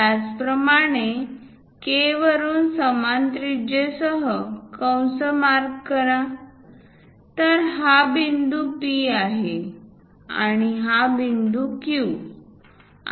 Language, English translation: Marathi, Similarly, from K, pick the same radius mark arc, so this one is point P, and this point Q